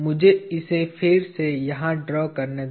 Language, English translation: Hindi, Let me draw that again here